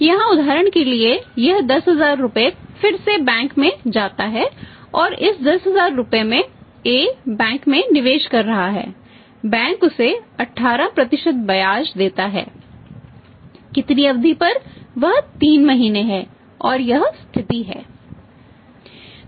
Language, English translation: Hindi, Here for example this 10000 rupees again go to the bank and this again goes to the bank and it is 10000 rupees A is investing in the bank and bank for example pays him 18% rate of interest on how much period is that is 3 months and this is the situation